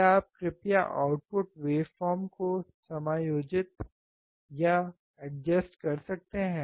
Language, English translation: Hindi, Can you please adjust the output wave form